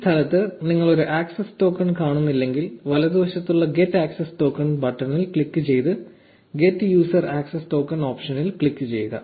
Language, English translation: Malayalam, If you do not see an access token in this space click on the get access token button on the right and click on the get user access token option